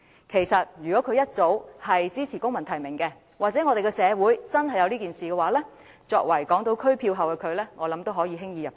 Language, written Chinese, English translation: Cantonese, 其實，如果她當初支持公民提名，或社會上真的有公民提名，相信作為港島區票后的她也能輕易"入閘"。, In fact if she had supported civil nomination back then or if civil nomination was actually adopted in society I believe it would also be easy for her who received the largest number of votes in the Hong Kong Island Constituency to be qualified for candidacy in the election